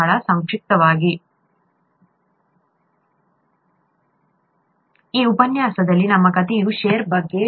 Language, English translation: Kannada, Very briefly, in this lecture, our story was about, was about shear